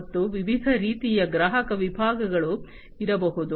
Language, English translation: Kannada, And there could be different types of customer segments